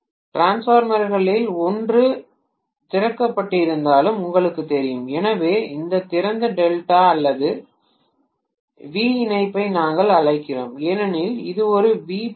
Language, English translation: Tamil, You know despite one of the Transformers being opened, so we call this open delta or V connection because this is like a V